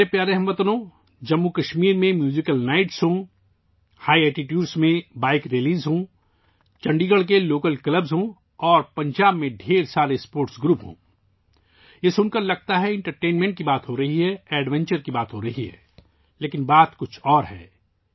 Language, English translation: Urdu, My dear countrymen, whether be the Musical Nights in Jammu Kashmir, Bike Rallies at High Altitudes, local clubs in Chandigarh, and the many sports groups in Punjab,… it sounds like we are talking about entertainment and adventure